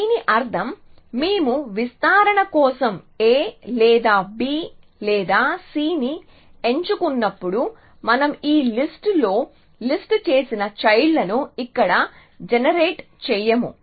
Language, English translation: Telugu, This means that when we in turn were to pick a or b or c for expansion we would not generate those children which we have listed in this list here